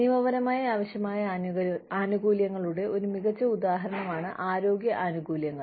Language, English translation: Malayalam, One very good example of legally required benefits is health benefits